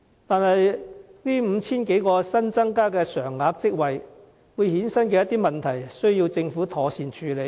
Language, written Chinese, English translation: Cantonese, 可是，這 5,000 多個新增加常額職位會衍生的問題，亦需要政府妥善處理。, But the Government must also properly tackle the issues arising from the creation of some 5 000 permanent posts